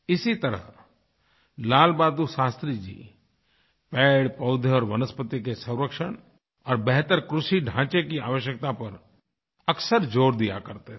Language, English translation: Hindi, Similarly, Lal Bahadur Shastriji generally insisted on conservation of trees, plants and vegetation and also highlighted the importance of an improvised agricultural infrastructure